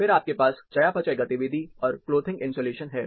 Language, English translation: Hindi, Then you have metabolic activity, and the clothing insulation